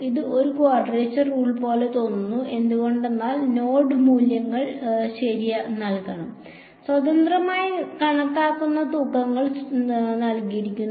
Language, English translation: Malayalam, It looks like a quadrature rule, why because the node values are to be given; the weights are given which are independently calculated